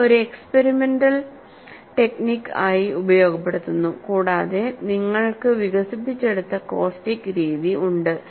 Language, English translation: Malayalam, This is exploited as a experimental technique and you have a method of caustics developed